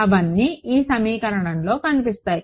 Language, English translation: Telugu, They all appear in this equation